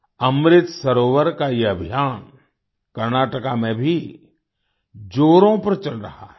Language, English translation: Hindi, This campaign of Amrit Sarovars is going on in full swing in Karnataka as well